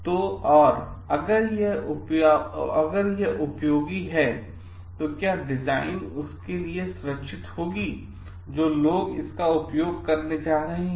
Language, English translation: Hindi, So, and if it is useful then will the design be safe for those who are going to use it